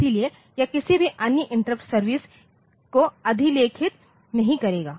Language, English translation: Hindi, So, that will not overwrite any other service interrupt services